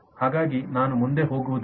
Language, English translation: Kannada, so i would not proceed further